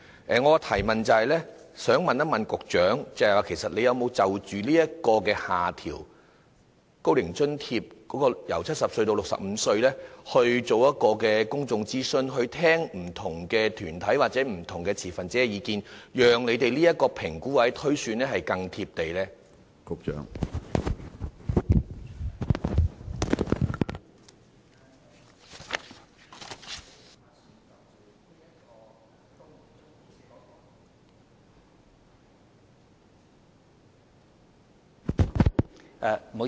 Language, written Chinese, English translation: Cantonese, 我的補充質詢是，局長有否就"高齡津貼"的年齡由70歲下調至65歲的要求諮詢公眾，聆聽不同團體或持份者的意見，讓當局的評估或推算更能貼地呢？, My supplementary question is Has the Secretary consulted the public and listened to the views of various deputations or stakeholders on whether the eligibility age for OAA should be lowered from 70 to 65 so as to bring the evaluation or projection by the authorities concerned closer to the reality?